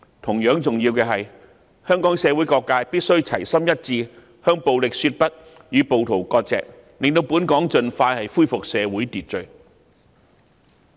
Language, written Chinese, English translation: Cantonese, 同樣重要的是，香港社會各界必須齊心一致，向暴力說不，與暴徒割席，讓香港盡快恢復社會秩序。, It is equally important for all sectors of society to work together in saying no to violence and severing ties with rioters so that the society of Hong Kong can resume order as soon as possible